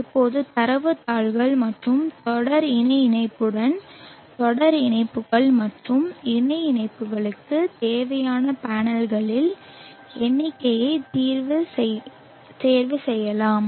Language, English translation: Tamil, Now with data sheets and series parallel connection you can choose the number of panels that are needed for series connections and parallel connections